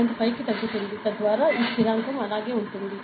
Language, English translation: Telugu, 5, so that this constant will remain same, ok